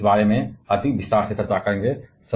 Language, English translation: Hindi, Yes, we shall be discussing about this in more detail